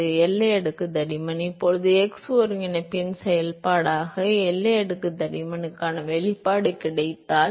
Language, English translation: Tamil, So, the boundary layer thickness, now if we got an expression for boundary layer thickness as a function of the x coordinate